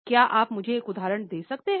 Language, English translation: Hindi, Can you give me one example